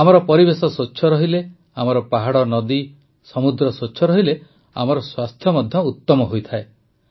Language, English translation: Odia, If our environment is clean, our mountains and rivers, our seas remain clean; our health also gets better